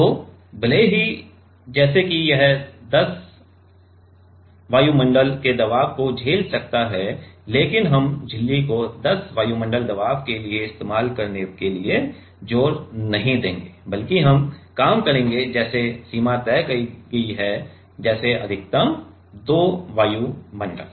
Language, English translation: Hindi, So, even though let us say it can withstand it can withstand 10 atmosphere pressure, but we will not push the membrane to be used for like 10 atmosphere pressure let rather we will work in like the range will be decided as like 2 atmosphere maximum